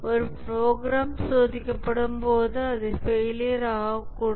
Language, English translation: Tamil, When a program is being tested, it may fail